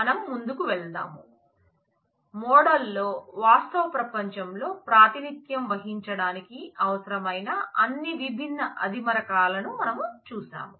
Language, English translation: Telugu, We will go forward, in the model we have seen all the different primitives required to represent the reality represent what holds in the real world